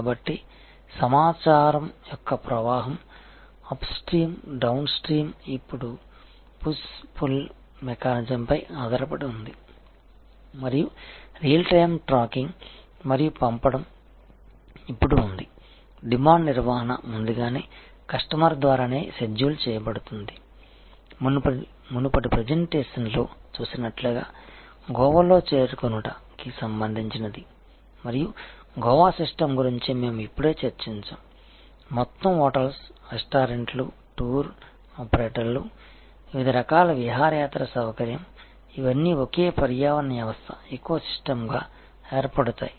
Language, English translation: Telugu, So, flow of information, upstream, downstream is now more based on push pull mechanism and there is a real time tracking and dispatching is now, possible a demand management is proactively done by the customer themselves schedule in just as the example, that we will discuss in this now, about number in Goa and the Goa system as we saw in a previous presentation is that whole hotels restaurants tour operators different types of excursion facility these are all for being one ecosystem